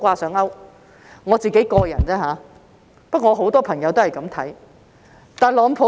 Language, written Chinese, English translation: Cantonese, 這是我的個人想法，但我有很多朋友都抱這種看法。, This is my personal opinion but I have many friends who share this view